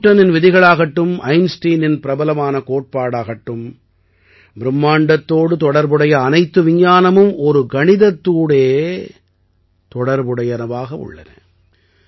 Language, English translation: Tamil, Be it Newton's laws, Einstein's famous equation, all the science related to the universe is mathematics